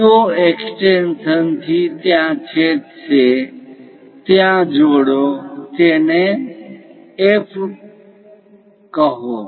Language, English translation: Gujarati, From CO extension is going to intersect there join that, call point F